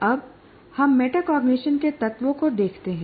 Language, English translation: Hindi, Now we look at the elements of metacognition